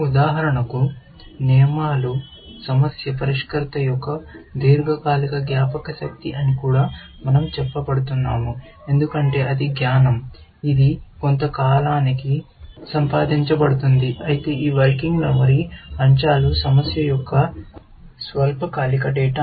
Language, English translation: Telugu, We are also said that the rules, for example, are the long term memory of the problem solver, because that is the knowledge, which is acquired over a period of time, whereas, this working memory elements are the short term memory of the problem solver, because that is the data that the problem solver is interacting with